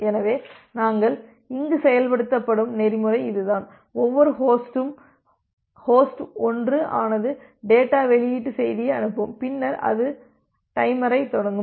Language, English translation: Tamil, So, that is the protocol we implement here that every individual host so host 1 it will send the data release message and then it will start the timer